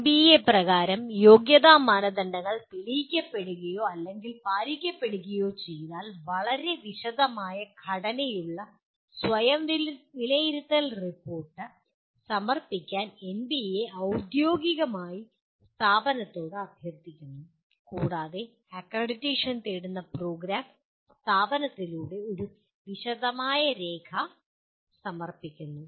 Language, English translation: Malayalam, If the eligibility criteria proved or met as per NBA, then NBA formally request the institution to submit what is called Self Assessment Report which has a very detailed structure to it, and the program which is seeking accreditation submits a detailed document through the institution